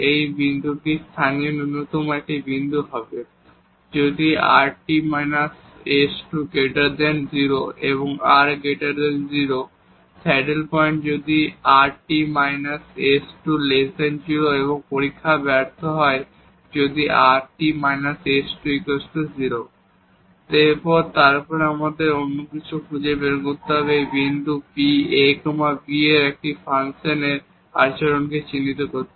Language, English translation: Bengali, This point will be a point of local minimum, if this rt minus s square is greater than 0 and r is greater than 0, saddle point if this rt minus s square is less than 0 and the test will fail if this rt minus s square will be 0 and then we have to find some other ways to characterize the behavior of this function at this point ab